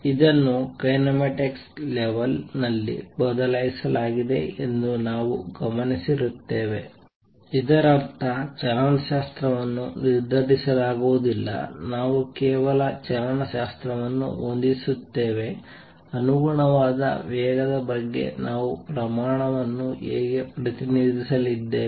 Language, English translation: Kannada, I just want to note this is changed at the kinematics level; that means, kinetics is not is decided we just set kinematically this is how we are going to represent the quantities how about the corresponding velocity